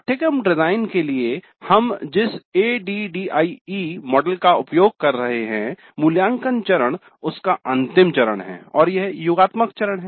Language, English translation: Hindi, In the ID model that we have been using for the course design, the evaluate phase is the last phase and summative phase